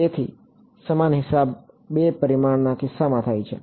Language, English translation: Gujarati, So, similar accounting happens in the case of two dimensions ok